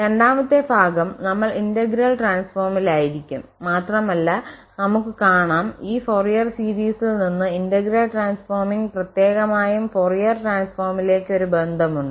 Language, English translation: Malayalam, The second portion will we be on integral transform and we will also observe there is a connection from this Fourier series to the integral transforming particular the Fourier transform